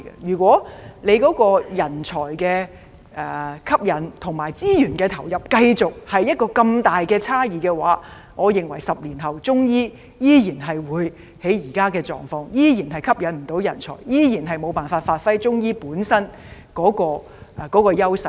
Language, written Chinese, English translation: Cantonese, 如果政府在吸引人才及投入資源方面繼續有這麼重大的差異，我認為10年後的中醫發展依然會處於現有狀況，無法吸引人才，也無法發揮其本身的優勢。, If such a serious imbalance in the efforts made by the Government to attract talents and allocate resources continues to exist I think the development of Chinese medicine 10 years later will largely remain the same in other words we will not be able to attract talents and enable practitioners of Chinese medicine to give full play to their strength